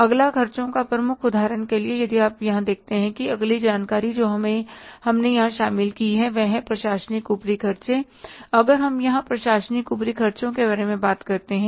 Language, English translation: Hindi, Next head of the expenses, for example, if you see here, the next information but we have included here is that is the administrative overheads